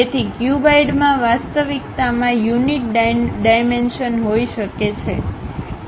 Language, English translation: Gujarati, So, the cuboid might be having unit dimensions in reality